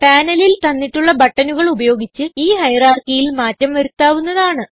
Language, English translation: Malayalam, Hierarchy can be modified using the buttons given in the panel